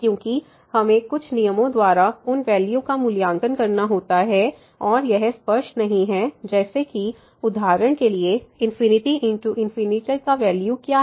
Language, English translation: Hindi, Because, we have to evaluate by some rules those values and it is not clear that; what is the value of infinity by infinity for example